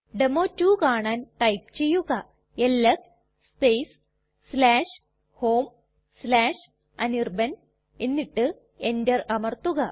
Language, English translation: Malayalam, To see that the demo2 is there type ls space /home/anirban and press enter